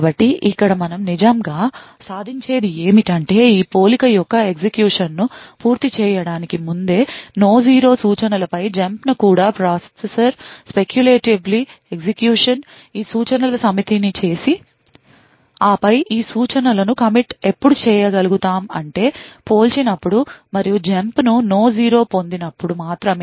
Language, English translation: Telugu, So what we actually achieve over here is that even before completing the execution of this compare and jump on no zero instructions the processor could have actually speculatively executed these set of instructions and then commit these instructions only when the result of compare and jump on no 0 is obtained